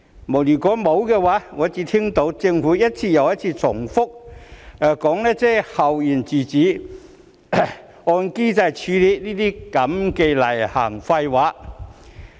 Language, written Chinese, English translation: Cantonese, 沒有，我只聽到政府一次又一次重複說"校園自主"、"按機制處理"這些例行廢話。, No he has not . I only heard the Government repeat such routine nonsense as school autonomy and handling in accordance with the mechanism time and again